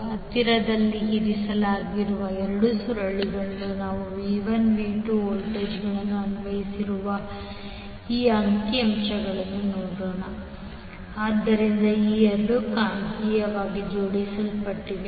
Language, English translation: Kannada, Let us see this particular figure where we have V1 andV2 2 voltages applied across the 2 coils which are placed nearby, so these two are magnetically coupled